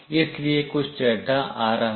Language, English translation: Hindi, So, some data are coming